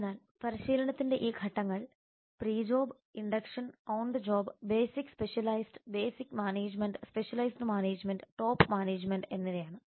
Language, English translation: Malayalam, so these stages of training are pre job induction on the job basic specialized basic management specialized management and top management so these are the seven stages of training